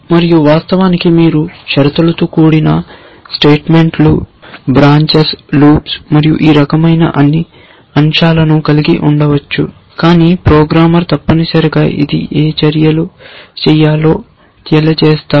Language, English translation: Telugu, And of course, you may have more complicated things like conditional statements and branches and loops and all this kind of stuff, but it is the programmer which specifies what actions have to be done essentially